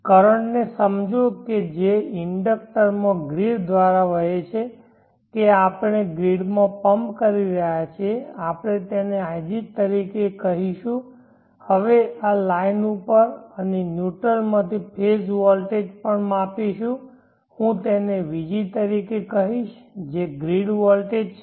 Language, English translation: Gujarati, Let us now sense the current that is flowing through the inductor into the grid that we are pumping into the grid we will call it as ig and let us also measure the phase voltage have a line and neutral and I will call that one as vg that is the grid voltage, grid voltage vg is vm sin